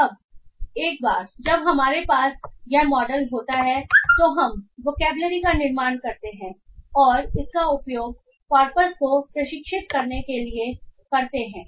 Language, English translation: Hindi, Now once we have this model we build the vocabulary and we use it to train the corpus